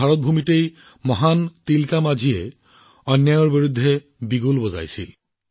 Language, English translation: Assamese, It was on this very land of India that the great Tilka Manjhi sounded the trumpet against injustice